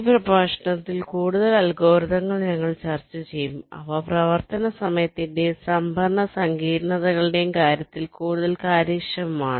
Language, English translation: Malayalam, so, as i said, we shall be discussing some more algorithms in this lecture which are more efficient in terms of the running time, also the storage complexities